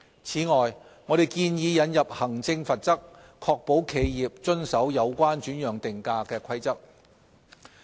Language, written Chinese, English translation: Cantonese, 此外，我們建議引入行政罰則，確保企業遵守有關轉讓定價的規則。, To ensure compliance with the new rules we also propose to introduce an administrative penalty relating to transfer pricing